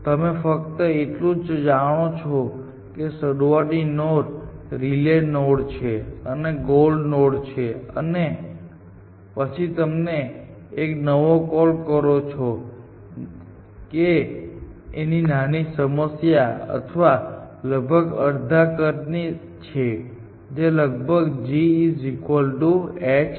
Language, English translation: Gujarati, All you know is that there is a start node there is a relay node and there is a gold node and then you making a fresh call which is to a smaller problem or roughly of half a size provided this is this holds that g is roughly equal to h